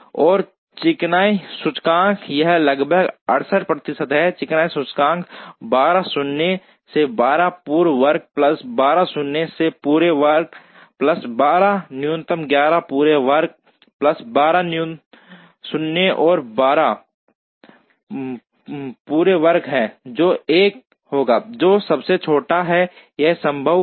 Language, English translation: Hindi, And smoothness index, this is about 98 percent the smoothness index will be 12 minus 12, the whole square plus 12 minus 12 the whole square plus 12 minus 11 whole square plus 12 minus 12 whole square, which will be 1, which is the smallest that is possible